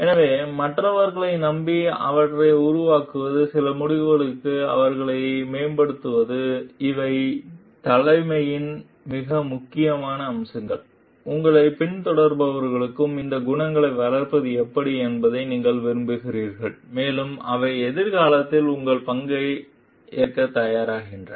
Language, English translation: Tamil, So, relying on others and making them, empowering them for some decision making these are very important aspects of leadership, and that is how you like nurture these qualities in your followers also, and they become ready to take up your role in future